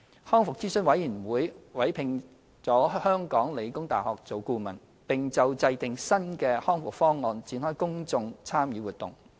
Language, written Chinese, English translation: Cantonese, 康復諮詢委員會委聘了香港理工大學為顧問，並就制訂新的《康復方案》展開公眾參與活動。, RAC has commissioned the Hong Kong Polytechnic University to provide consultancy service and launched a public engagement exercise for the formulation of the new RPP